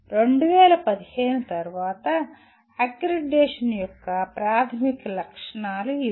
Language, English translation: Telugu, These are the basic features of accreditation post 2015